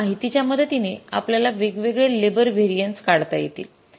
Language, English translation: Marathi, So, with the help of this information we are required to calculate the different labor variances